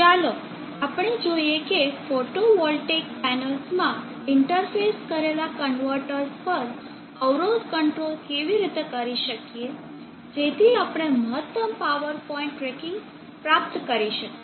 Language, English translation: Gujarati, Let us see how we can perform impedance control on converters interface to photovoltaic panels, so that we can achieve maximum power point tracking